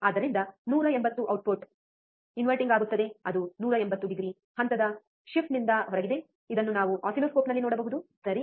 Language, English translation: Kannada, So, that the output is inverting that is out of phase 180 degree phase shift, which we can see on the oscilloscope, right